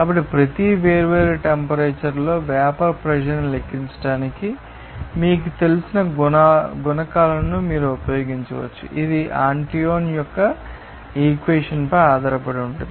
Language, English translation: Telugu, So, you can use these you know coefficients to calculate the vapor pressure at each different temperatures are based on the Antoine’s equation